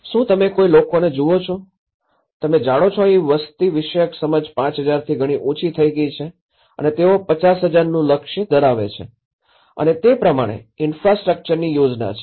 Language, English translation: Gujarati, Do you see any people, you know here the demographic understanding has been hyped a lot from 5,000 and they have aimed for 50,000 and the infrastructure is planned accordingly